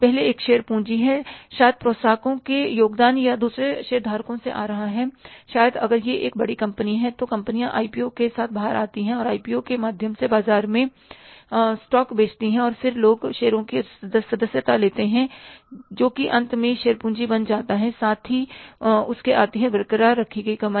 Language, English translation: Hindi, Maybe to say promoters contribution or it is coming from the other, say other shareholders, maybe if it is a large company, companies come out with the IPOs and through IPOs they sell the stocks in the market and then people subscribe to the stocks so that finally becomes the share capital